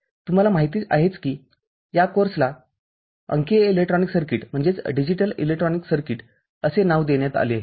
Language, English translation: Marathi, As you know, this course is named Digital Electronic Circuits